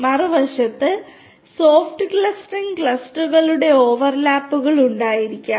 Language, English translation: Malayalam, Soft clustering on the other hand may have overlaps of clusters